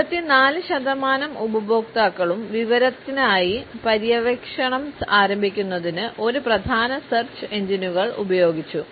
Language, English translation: Malayalam, 84 percent of the customers used one of the major search engines to begin their exploration for information